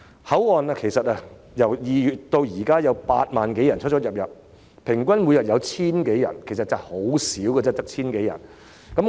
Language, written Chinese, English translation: Cantonese, 口岸由2月至今共有8萬多人出入境，平均每天只有 1,000 多人，數字其實很少。, Since February some 80 000 people have entered Hong Kong through that checkpoint or an average of only some 1 000 people have done so each day which is a small figure